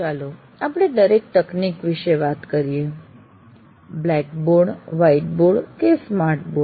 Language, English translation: Gujarati, Now let us look at each technology, blackboard or white board